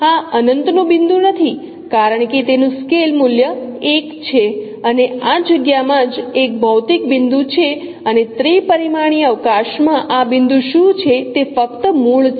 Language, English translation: Gujarati, This is not a point at infinity because its scale value is 1 and this is a physical point in the space itself and what is this point in the three dimensional space is simply the origin